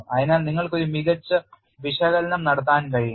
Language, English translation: Malayalam, So, you can do a better analysis